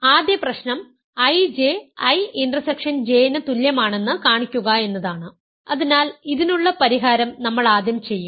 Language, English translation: Malayalam, Show that the first problem is I J is equal to I intersection J, so the solution of this we will do first